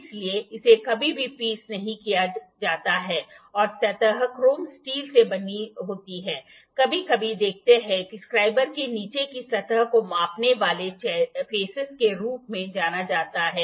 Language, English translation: Hindi, So, that is never grinded and the surface is made up of chrome steel sometimes see this is the measuring face, this face is the surface of the bottom is known as the measuring face